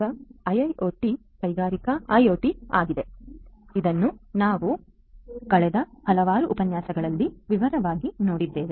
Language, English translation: Kannada, So, IIoT is Industrial IoT as we have seen this in detail in the last several lectures